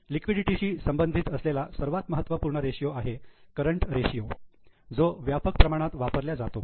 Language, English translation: Marathi, Within liquidity, current ratio is the most important ratio which is used extensively